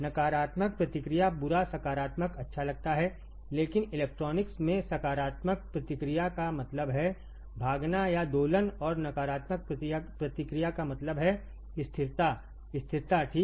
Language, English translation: Hindi, Negative feedback seems bad positive good, but in electronics positive feedback means run away or oscillation and negative feedback means stability; stability, all right